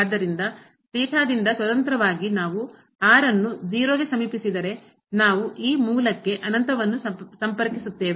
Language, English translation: Kannada, So, independent of theta, we if we approach r to 0; we will approach to infinite to this origin